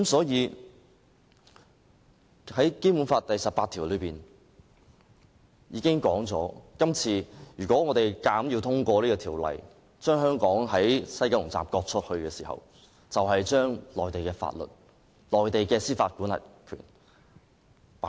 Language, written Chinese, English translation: Cantonese, 因此，按照《基本法》第十八條的規定，如果我們這次硬要通過《條例草案》，把香港的西九龍站割出去，就是在香港的土地實施內地法律及剔走司法管轄權。, Therefore in accordance with Article 18 of the Basic Law if we insist on passing the Bill and ceding the West Kowloon Station we will be implementing Mainland laws in the territory of Hong Kong and giving up our jurisdiction over the area